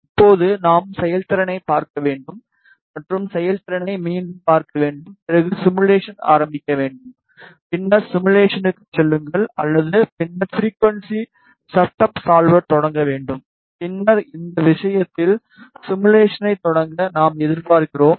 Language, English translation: Tamil, Now, we should see the performance and to see the performance just again start the simulation go to simulation or a then start frequency setup solver and then start the simulation in this case what we are expecting